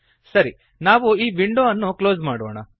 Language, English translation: Kannada, We will close this window